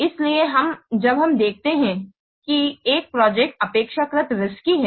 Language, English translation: Hindi, So when we observe that a project is relatively risky, then what we should do